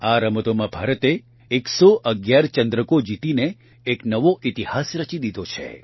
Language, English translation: Gujarati, India has created a new history by winning 111 medals in these games